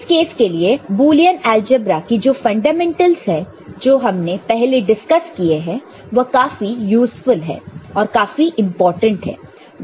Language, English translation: Hindi, So, in that case, the Boolean algebra that we have the fundamentals which we discussed before can be of very useful I mean, very important